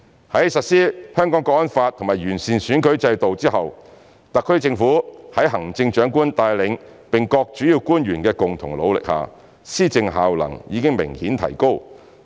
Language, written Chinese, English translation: Cantonese, 在實施《香港國安法》和完善選舉制度後，特區政府在行政長官帶領並各主要官員的共同努力下，施政效能已明顯提高。, After the implementation of the National Security Law and the improvement of the electoral system there is apparent enhancement in the effectiveness of governance of the SAR Government under the helm of the Chief Executive and with the joint efforts made by principal officials